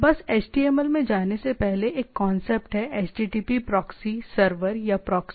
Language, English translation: Hindi, Just to have before going to the HTML, so there is a concept of HTTP proxy server or proxy